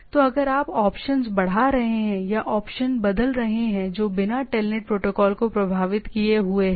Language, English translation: Hindi, So, if you are increasing option or changing the option that is without effecting the telnet protocol